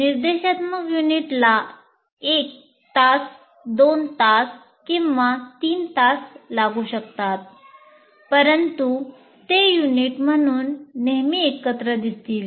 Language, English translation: Marathi, So, an instructional unit may take maybe one hour, two hours or three hours, but it will be seen always as together as a unit